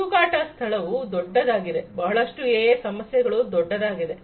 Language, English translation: Kannada, The search space is huge, the search space in AI many of the AI problems is huge